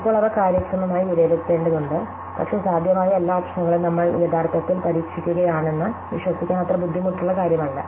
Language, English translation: Malayalam, Now, will shall have to evaluate the efficiently, but the at least that is not that difficult to believe that we are actually trying out every possible option